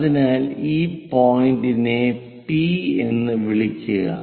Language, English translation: Malayalam, So, call this point as P